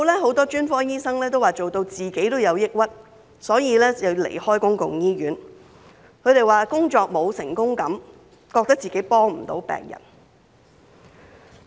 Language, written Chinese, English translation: Cantonese, 很多專科醫生都說自己也做到抑鬱，所以要離開公營醫院，他們說工作沒有成功感，覺得自己幫不了病人。, Many specialists in public hospitals say that work depression is driving them to quit as they neither feel any sense of achievement nor consider themselves a helping hand to patients